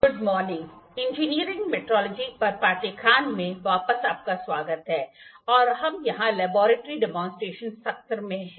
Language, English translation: Hindi, Good morning welcome back to the course on Engineering Metrology and we are in the Laboratory demonstration session here